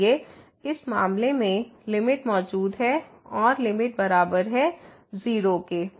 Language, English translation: Hindi, Therefore, in this case the limit exists and the limit is equal to